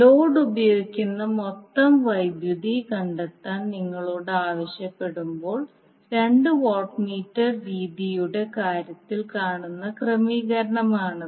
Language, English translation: Malayalam, So now this is the arrangement which you will see in case of two watt meter method when you are asked to find out the total power consumed by the load